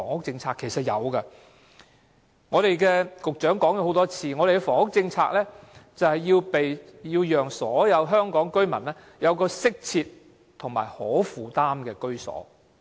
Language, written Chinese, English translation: Cantonese, 正如局長已多次表示，我們的房屋政策是要讓所有香港居民有適切和可負擔的居所。, As the Secretary has mentioned time and again our housing policy is to enable all Hong Kong people to have adequate and affordable housing